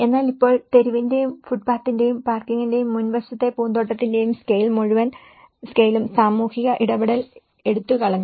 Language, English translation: Malayalam, But now with the scale of the street and the footpath and the parking and the front garden and so the whole scale have taken away that the social interaction